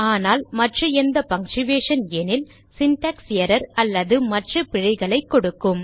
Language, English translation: Tamil, But any other punctuation in a variable name that give an syntax error or other errors